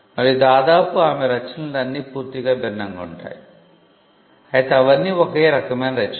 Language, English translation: Telugu, And almost all her works are entirely different though they all fall within the same genre